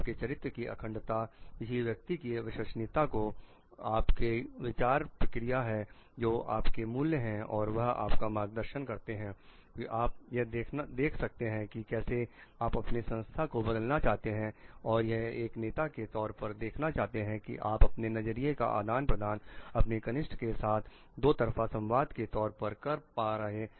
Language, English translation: Hindi, The integrity of your character the trustworthiness of person that you are your thought process your values which guides you to see how you want your organization to transform to see how as a leader you are going to exchange your views with your juniors as a part of two way transactions